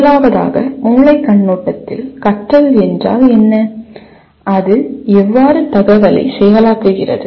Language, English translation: Tamil, First of all, what does learning mean from a brain perspective and how does it process the information